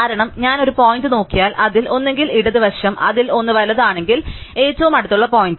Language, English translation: Malayalam, Because, if I look at a point, the nearest point if either the one on it is left and one on it is right